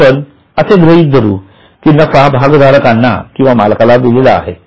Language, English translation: Marathi, Now we are assuming that that profit is paid to the owners or to the shareholders